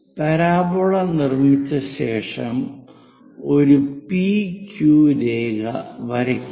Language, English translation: Malayalam, After constructing parabola, draw a P Q line